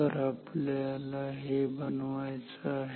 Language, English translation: Marathi, So, this is what you want to make